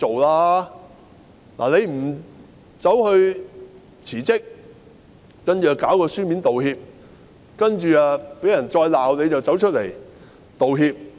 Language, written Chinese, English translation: Cantonese, "林鄭"沒有辭職，只是發出書面道歉，然後被人責罵後才出來道歉。, Carrie LAM did not resign but only made a written apology . It was after she had been taken to task that she came forth to tender an apology